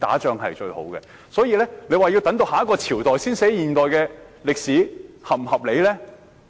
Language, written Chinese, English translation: Cantonese, 因此，若說要等到下一個朝代才撰寫現今世代的歷史，這合理嗎？, Therefore is it reasonable to wait for the next dynasty to write the history of the present era?